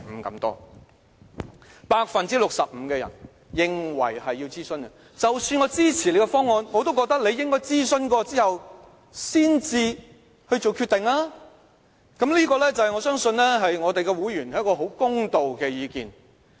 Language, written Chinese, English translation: Cantonese, 有 65% 的人認為要諮詢，即使他們支持政府的方案，但也覺得政府應該諮詢後才作決定，我相信這是我們會員很公道的意見。, A total of 65 % of respondents believe there is a need to conduct consultation . Even though some of them approve of the Governments proposal they still think the Government should first consult the public before making any decision . I believe our members views are fair enough